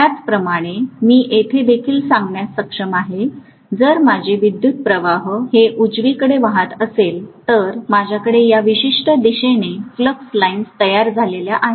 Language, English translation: Marathi, The same way I should be able to say here also, if my current is flowing like this right, so I am going to have the flux lines produced in this particular direction